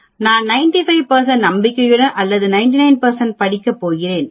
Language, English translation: Tamil, I may going to study at 95 percent confidence or 99 percent